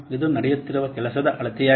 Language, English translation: Kannada, It is a measure of work that is being done